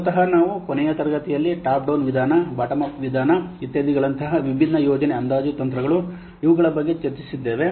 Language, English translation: Kannada, And basically yesterday we have last class we have discussed about this different project estimation techniques such as top down approach, bottom of approach, etc